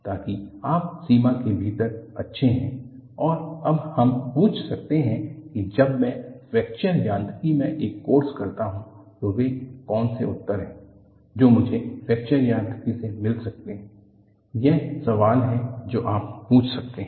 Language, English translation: Hindi, So that, you are well within the limits and now we can ask, when I do a course in Fracture Mechanics, what are the answers that, I could get from Fracture Mechanics is the question that when ask